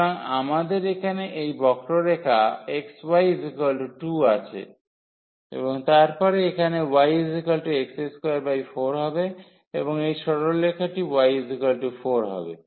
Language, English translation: Bengali, So, we have this curve here x y is equal to this is x y is equal to 2 and then we have here y is equal to x square by 4 and this straight line is y is equal to 4